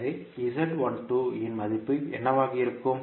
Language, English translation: Tamil, So, what would be the value of Z12